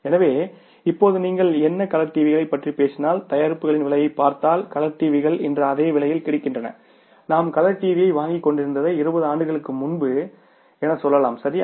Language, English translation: Tamil, So, what has happened now and if you look at the pricing of the products, if you talk about the colour TVs, colour TVs are say almost available at the same price even today what we were buying the colour TV maybe say how many even 20 years back, right